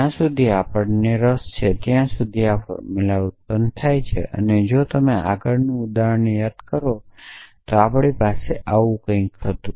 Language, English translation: Gujarati, So, till this formula f we are interested is generated, so if you look if you remember the example we did last time we had something like this